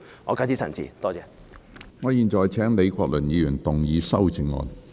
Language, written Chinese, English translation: Cantonese, 我現在請李國麟議員動議修正案。, I now call upon Prof Joseph LEE to move his amendment